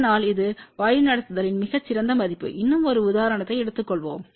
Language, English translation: Tamil, So, that is a very good value of the directivity let us take one more example